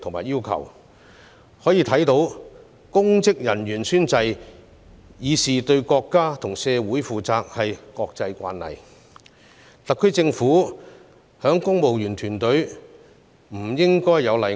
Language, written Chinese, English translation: Cantonese, 由此可見，公職人員宣誓以示對國家和社會負責，已成為國際慣例，特區政府的公務員團隊不應有例外。, This shows that it has become an international practice for public officers to take an oath to show their accountability to the country and community alike and so the civil service of HKSAR should be no exception